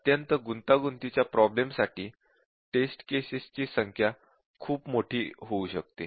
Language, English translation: Marathi, But then for very complicated problems, the number of test cases can become very huge